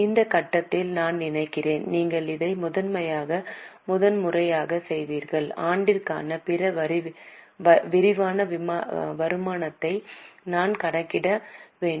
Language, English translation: Tamil, At this stage I think you would be doing it for the first time, we need to calculate other comprehensive income for the year